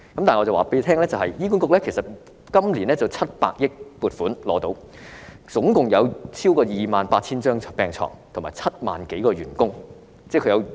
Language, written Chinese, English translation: Cantonese, 但是，醫管局今年獲得700億元撥款，共有超過 28,000 張病床和7萬多個員工。, However managing a total of over 28 000 beds and having more than 70 000 employees HA has received a funding of 70 billion this year